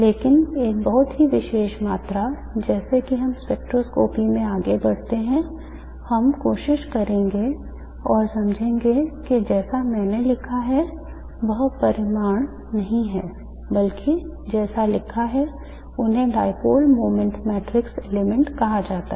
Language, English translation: Hindi, Dipole moment magnitude but this is a very special quantity as we go further in spectroscopy we will try and understand is not the magnitude as I have written but as written but what is called the dipole moment matrix elements, dipole moment matrix elements